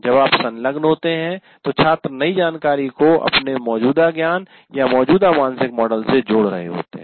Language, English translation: Hindi, So when they are engaging what are the students doing, they are linking the new information to their existing body of knowledge or existing mental model